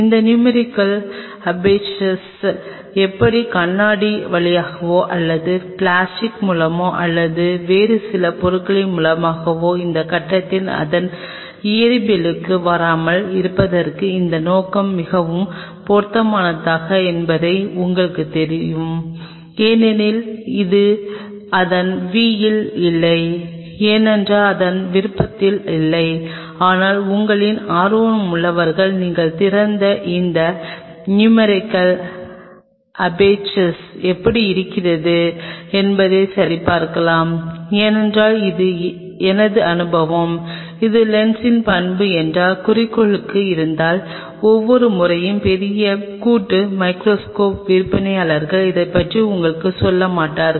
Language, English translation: Tamil, This numerical aperture is the one which will tell you whether this objective is best suited for a viewing through glass or through plastic or some other material not getting to the physics of it at this point, because this is not will in the v of it, but those of you are interested you can open up and check how that numerical aperture is being because if this is property of the lens itself inside the objective and this is something it is my experience that every time the big joint microscope sellers kind of do not tell you about it